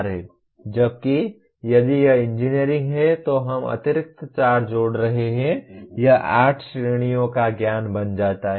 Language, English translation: Hindi, Whereas if it is engineering we are adding additional 4 and it becomes 8 categories of knowledge